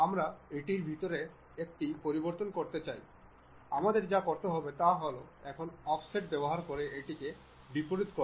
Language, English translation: Bengali, We want to change that to inside, what we have to do is use Offset now make it Reverse